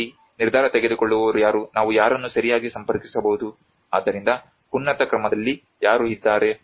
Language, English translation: Kannada, Who is the decision maker here whom can we approach right so there is become who is on the higher order